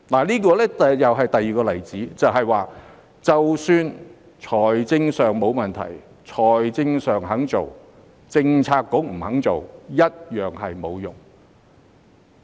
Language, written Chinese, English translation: Cantonese, 這是第二個例子，即使財政上沒有問題，但政策局不肯做，一樣沒有用。, This is another example to show that even if a policy is financially viable but it is useless if no Policy Bureau agrees to take up the work